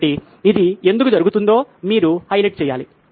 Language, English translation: Telugu, So you have to highlight why is this happening